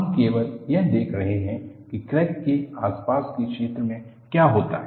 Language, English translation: Hindi, We are only looking at what happens in the vicinity of the crack